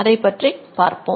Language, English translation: Tamil, So, we will show that